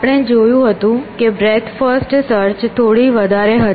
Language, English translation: Gujarati, We had that seen that breadth first search was a little bit more than